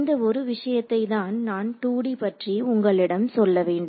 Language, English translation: Tamil, So, that is one thing I wanted to tell you in the case of 2 D